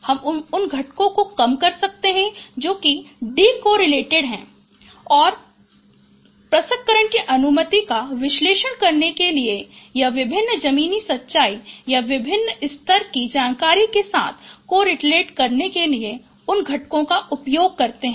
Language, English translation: Hindi, We can reduce those components which are decorrelated and use those components to make the information analysis to analyze, process the information or to correlate with different ground truth or different ground level information